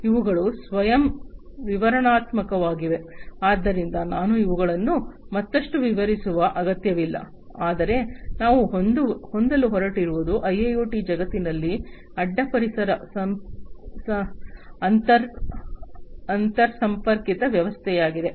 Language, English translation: Kannada, These are self explanatory, so I do not need to explain them further, but what we are going to have is a cross environment interconnected system in the IIoT world